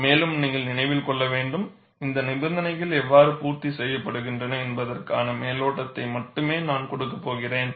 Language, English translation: Tamil, And you have to keep in mind, I am going to give only a flavor of how these conditions are met